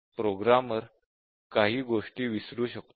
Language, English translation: Marathi, The programmer might miss certain things